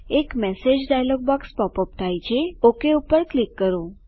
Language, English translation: Gujarati, A message dialog box pops up.Let me click OK